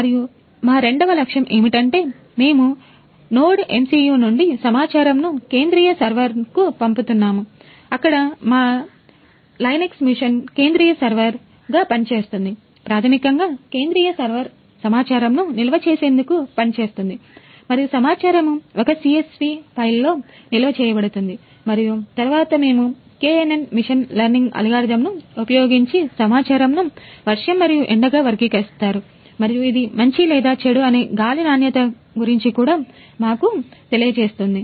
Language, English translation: Telugu, So, basically the centre server will act as a data storage purpose and the data will be stored in a CSV file and later on we will be divide KNN machine learning algorithm which will classify the data into as rainy and sunny and it will also tell us about the air quality whether it is good or bad